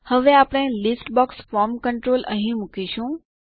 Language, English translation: Gujarati, Now, we will place a List box form control here